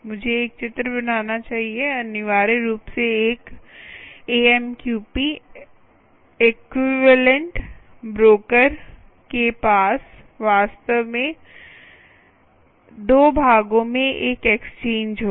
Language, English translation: Hindi, essentially, a amqp equalent broker, amqp equalent broker will actually have two parts